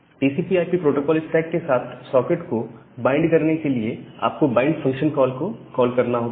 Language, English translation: Hindi, So, to bind the socket with the TCP/IP protocol stack, you have to call this bind function